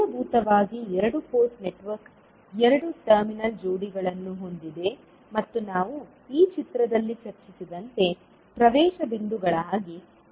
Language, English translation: Kannada, So, basically the two port network has two terminal pairs and acting as access points like we discussed in this particular figure